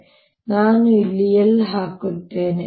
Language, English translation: Kannada, so i am going to put an l out here